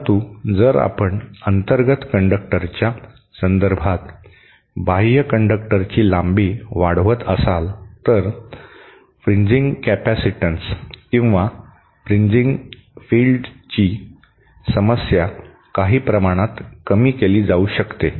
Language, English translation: Marathi, But if you increase the length of the outer conductor with respect to the inner conductor, then the fringing capacitance or the fringing field problem can be reduced to some extent